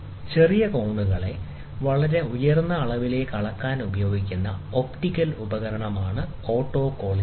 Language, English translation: Malayalam, So, autocollimator is an optical instrument that is used to measure small angles to very high precision